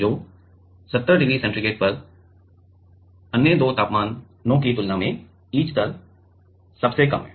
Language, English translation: Hindi, So, at 70 degree centigrade the etch rate is the lowest compared to the other two temperature